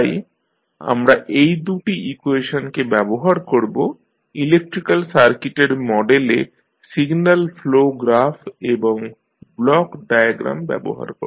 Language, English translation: Bengali, So, we will use these two equations to model the electrical circuit using signal flow graph and the block diagram